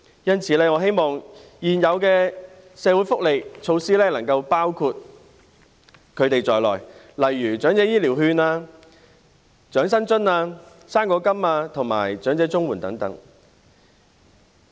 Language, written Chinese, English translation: Cantonese, 因此，我希望現有的社會福利措施能夠涵蓋他們，例如長者醫療券、長者生活津貼、"生果金"及長者綜援等。, In view of this I hope the existing social welfare measures such as Elderly Health Care Vouchers the Old Age Living Allowance fruit grant elderly CSSA etc can also embrace them